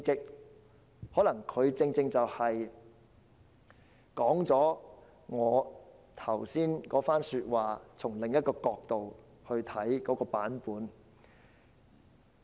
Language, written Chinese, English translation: Cantonese, 她可能正好說了我剛才那番說話，是從另一角度出發的版本。, This is precisely the remark made by me just now but from another perspective